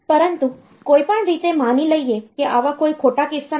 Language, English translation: Gujarati, But anyway assuming that there is there is no such erroneous cases